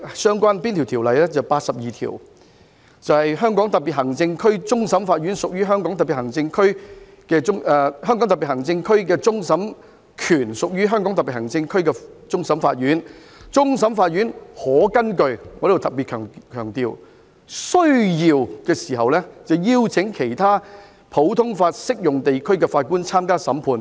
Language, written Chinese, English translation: Cantonese, 是第八十二條："香港特別行政區的終審權屬於香港特別行政區終審法院。終審法院可根據"——我要特別強調——"需要邀請其他普通法適用地區的法官參加審判。, It is Article 82 The power of final adjudication of the Hong Kong Special Administrative Region shall be vested in the Court of Final Appeal of the Region which may as required invite judges from other common law jurisdictions to sit on the Court of Final Appeal